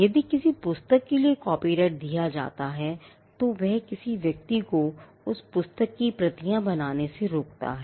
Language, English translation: Hindi, If a copyright is granted for a book, it stops a person from making copies of that book